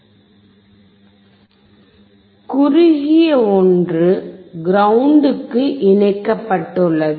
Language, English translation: Tamil, The shorter one is connected to the ground